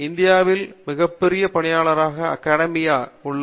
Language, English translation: Tamil, The biggest employer in India is the Academia